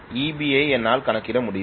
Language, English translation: Tamil, So Eb I can calculate